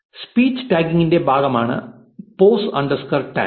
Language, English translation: Malayalam, Pos underscore tag stands for part of speech tagging